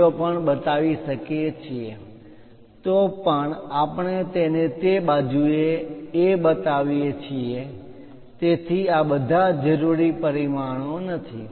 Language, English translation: Gujarati, 0, anyway we are showing it on that side so, this is not at all required dimension